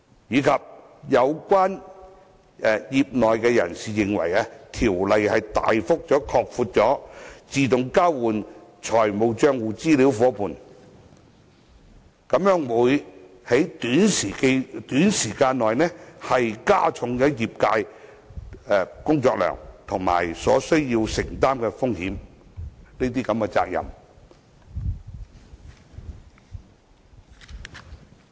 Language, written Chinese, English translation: Cantonese, 此外，有業內人士認為，《條例草案》大幅擴闊自動交換資料夥伴的範圍，將會在短時間內加重業界的工作量及所須承擔的風險及責任。, In addition some members of the industry believe that the Bills considerable widening of the range of AEOI partners will increase the workload risks and obligations of the industry within a short time